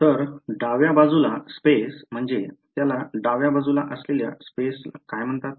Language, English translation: Marathi, So, the left hand side space is what would be called, what would be called the this the space on the left hand side